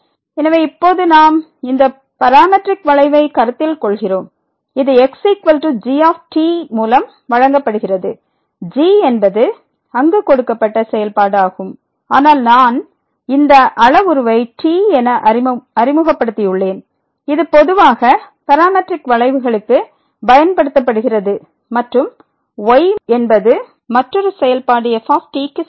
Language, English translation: Tamil, So, here now we consider this parametric curve which is given by is equal to ); is the function the given function there, but I have introduced this parameter which is commonly used for the parametric curves and the is equal to the other function and varies from to in this close interval